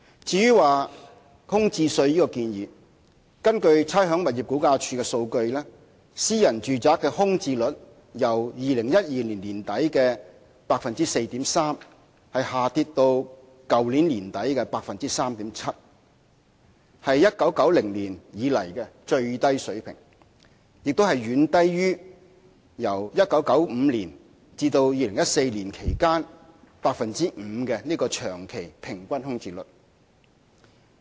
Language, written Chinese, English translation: Cantonese, 至於徵收空置稅的建議，根據差餉物業估價署的數據，私人住宅的空置率由2012年年底的 4.3% 下跌至去年年底的 3.7%， 是1990年以來的最低水平，亦遠低於由1995年至2014年期間的 5% 長期平均空置率。, As regards the vacant residential property tax data provided by the Rating and Valuation Department show that the vacancy rate for private flats fell from 4.3 % at end - 2012 to 3.7 % at the end of last year the lowest since 1990 and also way below the long - term average vacancy rate of 5 % between 1995 and 2014